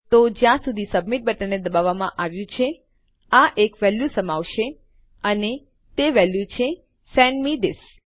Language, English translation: Gujarati, So long as the submit button has been pressed, this will contain a value and that value is Send me this